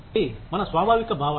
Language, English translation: Telugu, That is our inherent feeling